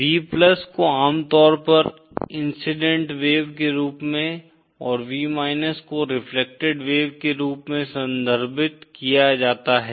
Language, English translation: Hindi, V + is usually referred to as the incident wave and V as the reflected wave